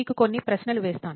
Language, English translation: Telugu, So few questions to you